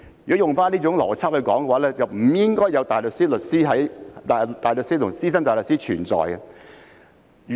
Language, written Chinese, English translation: Cantonese, 如果用回這種邏輯來說，便不應該有大律師和資深大律師存在。, If we apply such logic there should have been no counsel or senior counsel